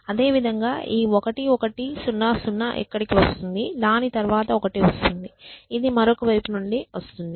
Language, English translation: Telugu, because this 0 comes from the other side likewise this 1 1 0 0 will come here followed by this one which comes from the other side